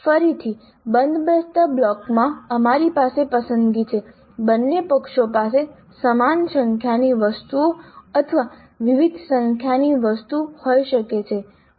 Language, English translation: Gujarati, Again in the matching blocks we have a choice both sides can have same number of items or different number of items